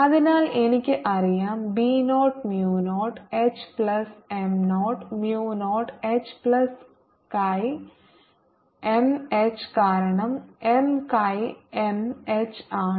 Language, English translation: Malayalam, so i know b equal to mu zero, h plus m and equal to mu zero, h plus chi m h, because m is is chi m h